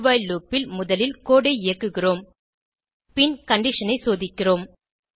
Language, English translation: Tamil, In the do...while loop, we are first executing the code and then checking the condition